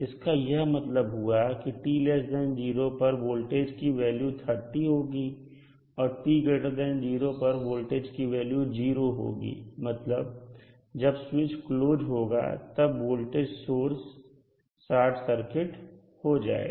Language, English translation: Hindi, It means that the time t less than 0 the value of voltage is 30 volt, at time t greater than 0 these value became 0 volt, means when the switch is closed this voltage source is short circuit